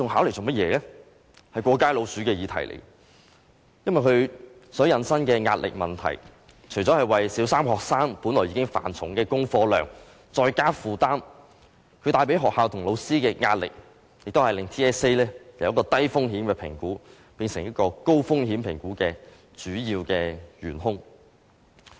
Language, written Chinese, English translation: Cantonese, 這是一個"過街老鼠"的議題，因為它引申出壓力的問題，除了為小三學生本來已經繁重的功課量再增加負擔，也為學校和老師帶來壓力，令 TSA 由一個低風險的評估，變成一個高風險評估的主要元兇。, TSA is like a scurrying rat because it creates pressure . Apart from increasing the burden for Primary Three students who already have a lot of homework to do TSA also puts additional pressure on schools and teachers . Thus pressure is the main culprit for turning TSA from a low - risk assessment to a high - risk assessment